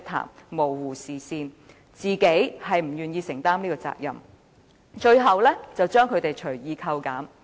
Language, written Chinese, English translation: Cantonese, 僱主模糊視線，根本不願承擔責任，更將金額隨意扣減。, Employers simply do not want to shoulder their responsibilities at all and arbitrarily deduct the benefits of their employees